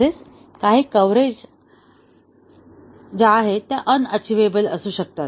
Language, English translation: Marathi, And also, some of the coverage may be unachievable